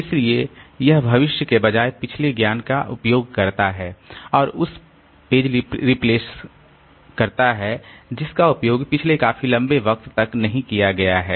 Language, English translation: Hindi, So, it uses past knowledge rather than future and replace the page that has not been used for the longest period of time